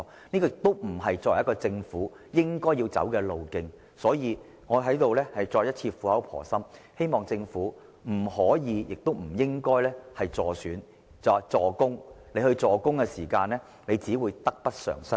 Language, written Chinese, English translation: Cantonese, 這不是政府應走的路。所以，我在此苦口婆心地重申，政府不可以亦不應該"助攻"，否則只會得不償失。, This is not the path that the Government should take so I dissuade the Government patiently that it cannot and should not give a helping help in this battle; otherwise the loss will outweigh the gain